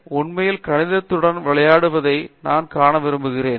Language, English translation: Tamil, So, you would like to see the playing thing that he really plays with mathematics